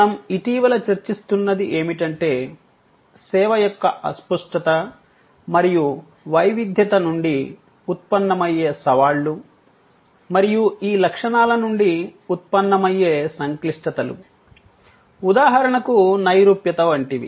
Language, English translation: Telugu, What we have been discussing lately are the challenges arising from the intangibility and heterogeneity of service and the complexities that arise from these characteristics like for example, abstractness